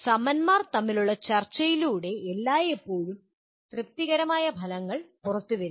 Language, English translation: Malayalam, It is always through discussion between peers will lead to coming out with the satisfactory outcomes